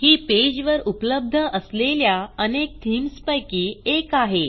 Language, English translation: Marathi, This is one of many themes available on this page